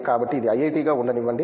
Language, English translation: Telugu, So, let it be IIT